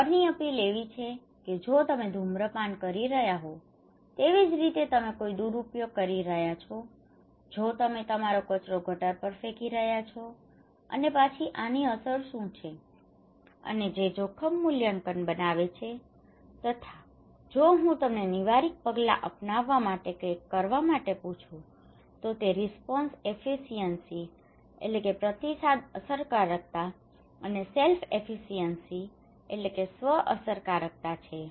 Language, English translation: Gujarati, One is the fear appeal that is if you are doing some maladaptive behaviour okay like you are smoking, if you are throwing your garbage on a gutter and then what is the impact of this okay and which creates a threat appraisal and the response efficacy and self efficacy is that if I am asking you to do something some to install to adopt some preventive measures okay